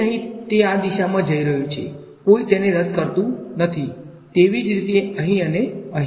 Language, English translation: Gujarati, So, over here it is going in this direction; no one to cancel it similarly here, similarly here